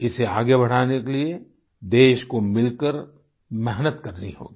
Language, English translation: Hindi, The country will have to persevere together to promote this